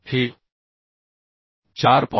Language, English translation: Marathi, So this is becoming 4